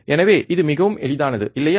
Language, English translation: Tamil, So, it is very easy, right